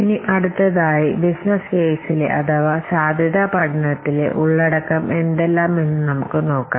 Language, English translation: Malayalam, Now let's see what are the contents of a business case or feasibility study